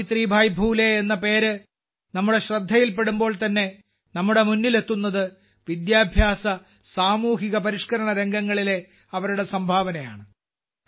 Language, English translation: Malayalam, As soon as the name of Savitribai Phule ji is mentioned, the first thing that strikes us is her contribution in the field of education and social reform